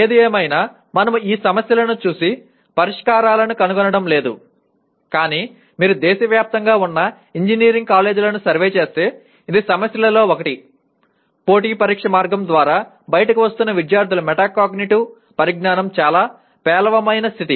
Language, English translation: Telugu, Anyway we are not going to look at those problems and finding out solutions but if you survey the engineering colleges across the country, it is one of the issues is the very poor state of metacognitive knowledge of the students that are coming out through the competitive exam route